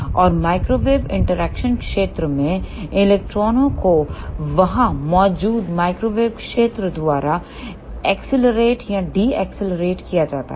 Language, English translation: Hindi, And in microwave interaction region electrons are accelerated or decelerated by the microwave field present there